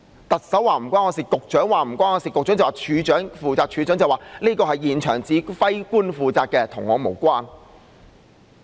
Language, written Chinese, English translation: Cantonese, 特首說與她無關、局長說與他無關、局長說處長負責、處長說這是現場指揮官負責，與他無關。, The Chief Executive said she was not involved; the Secretary said he was not involved and that the Commissioner was responsible for it; the Commissioner said the commanders on scene were in charge of it and that he was not involved